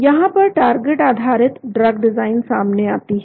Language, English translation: Hindi, This is where the target based design comes into picture